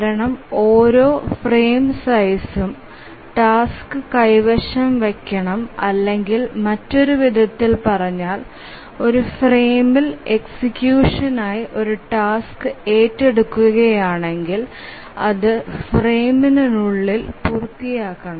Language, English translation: Malayalam, If you remember why this is so, it's because every frame size must hold the task or in other words, if a task is taken up for execution in a frame, it must complete within the frame